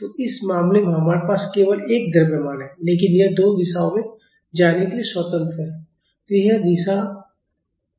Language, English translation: Hindi, So, in this case we have only one mass, but this is free to move in two directions